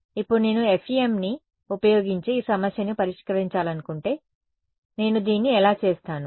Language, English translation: Telugu, Now, if I wanted to solve this problem using FEM, how would I do it